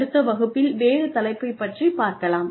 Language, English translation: Tamil, And, we will take on a different topic in the next class